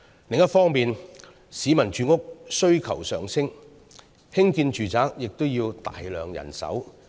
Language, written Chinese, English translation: Cantonese, 此外，市民的住屋需求上升，興建住宅也要大量人手。, In addition with an increasing public demand for housing a significant amount of manpower is needed to build residential units